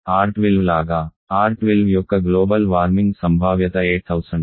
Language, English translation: Telugu, Like R12 global warming potential of R12 that is of the order of 8000